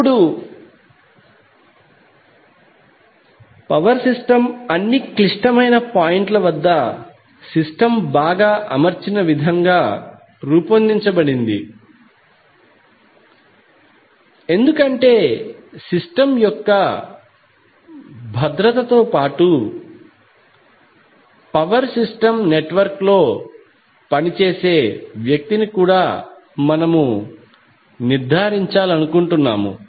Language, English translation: Telugu, Now power system is designed in the way that the system is well grounded at all critical points why because we want to make ensure the safety of the system as well as the person who work on the power system network